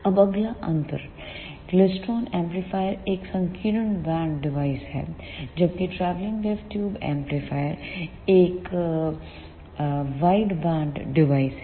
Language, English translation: Hindi, Now, the next difference is the klystron amplifier is a narrow band device whereas, travelling wave tube amplifier is a wideband device